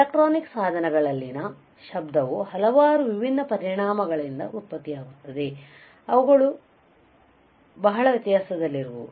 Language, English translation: Kannada, Noise in electronic devices varies greatly as it can be produced by several different effects